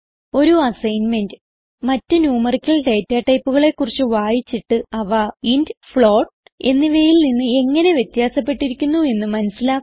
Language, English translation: Malayalam, As an assignment for this tutorial, Read about other numerical data types and see how they are different from int and float